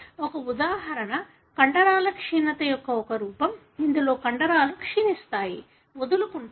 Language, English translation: Telugu, One example is one form of muscular atrophy, wherein the muscle degenerate, give up